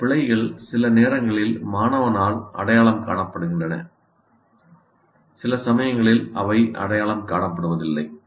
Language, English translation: Tamil, These errors, sometimes they are either noted by this, identified by the student, or sometimes they do not